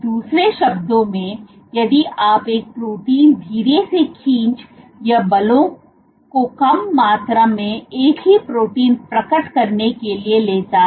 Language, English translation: Hindi, In other words, if you pull a protein slowly it takes less amount of forces to unfold the same protein